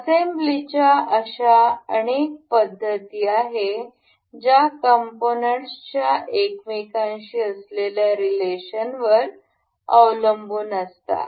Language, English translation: Marathi, There are multiple such methods of assembly that which depend on the component being related to one another